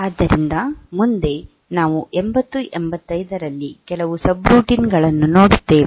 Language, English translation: Kannada, So, next we will have next we will see some subroutines in 8085